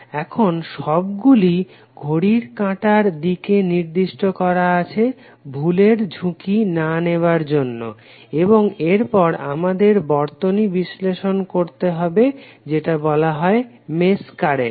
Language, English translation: Bengali, Now, all have been assigned a clockwise direction for not to take risk of error and then we have to analyse these currents which are called mesh currents